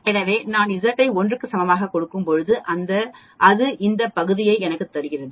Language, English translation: Tamil, So when I give Z is equal to 1 it gives me this area